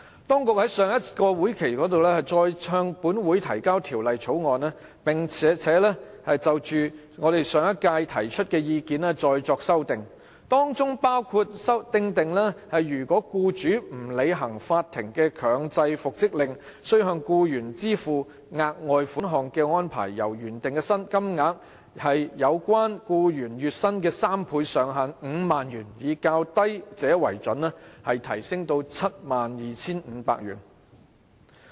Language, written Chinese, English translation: Cantonese, 當局在上個立法會會期再度提交《條例草案》，並就我們在上屆立法會提出的意見作出修訂，包括訂定若僱主不履行法庭的強制復職令，須向僱員支付額外款項的安排，由原定"有關僱員月薪的3倍，上限為5萬元，以較低者為準"，提升至 72,500 元。, When the Government reintroduced the Bill in the last legislative session it has taken on board our views expressed in the Legislative Council of the last term and made some amendments which include providing for the payment of a further sum to the employee in the event that the employer fails to comply with the compulsory reinstatement order made by the court with the amount payable increased from the original three times the average monthly wages of the employee subject to a maximum of 50,000 whichever is lesser to 72,500